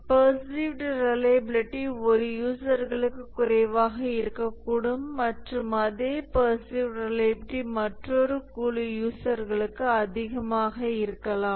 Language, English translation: Tamil, So the perceived reliability can be low for one group of users and the perceived reliability can be high for another group of users